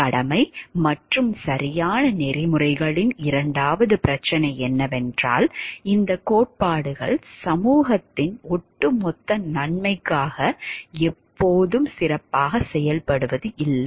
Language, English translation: Tamil, The second problem with duty and right ethics is that these theories don't always account for the overall good of society very well